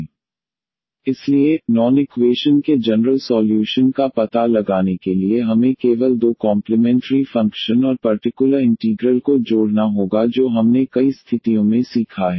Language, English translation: Hindi, So, to find out the general solution of the non homogeneous equation we have to just add the two the complimentary function and the particular integral which we have learned in many situations